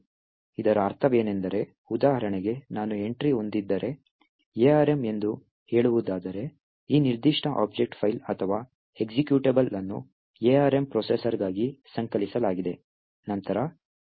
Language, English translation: Kannada, What this means, for example if I have an entry, if the entry is let us say, arm, it means that this particular object file or executable was compiled for the arm processor